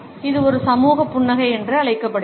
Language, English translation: Tamil, This is known as a social smile